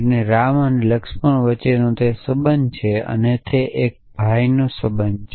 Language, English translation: Gujarati, So, it is a relation between ram and laxman and it is a brother relation